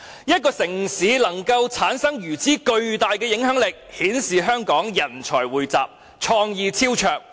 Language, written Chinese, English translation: Cantonese, 一個城市能產生如此巨大的影響力，顯示了香港人才匯集，創意超卓。, The impact of Hong Kong culture on other cities is testimony to the abundance of our creative talents